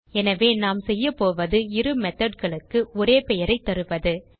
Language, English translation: Tamil, So what we do is give same name to both the methods